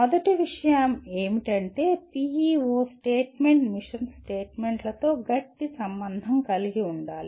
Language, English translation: Telugu, First thing is PEO statement should strongly correlate with mission statements